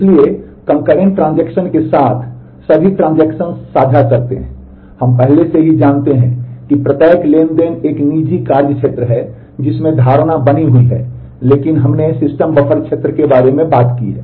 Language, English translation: Hindi, So, with Concurrent Transaction, all transactions share we already know that every transaction is a private work area that assumption stays, but we talked about a system buffer area